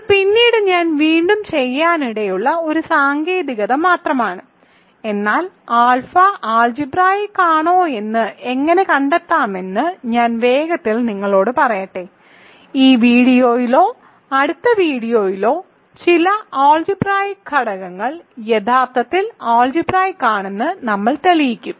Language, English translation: Malayalam, This is just a technique that I might do again later, but let me quickly tell you how to find whether alpha is algebraic over we will see later, in this video or next video that some of algebraic elements is actually algebraic